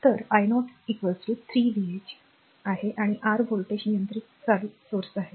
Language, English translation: Marathi, So, i 0 is equal to 3 v x and this is your what you call voltage controlled current source